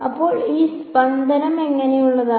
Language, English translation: Malayalam, So, what is this pulse look like